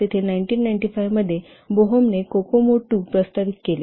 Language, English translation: Marathi, They are bohem proposed to Kokomo 2 in 1995